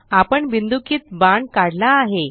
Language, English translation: Marathi, We have drawn a dotted arrow